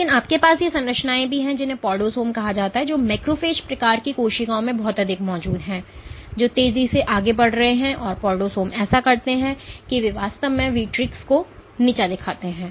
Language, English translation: Hindi, But you have also these structures called podosomes which are present a lot in macrophage type of cells which are fast moving and what podosomes do that they actually degrade the vitrics